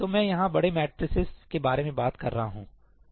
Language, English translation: Hindi, So, I am talking about large matrices over here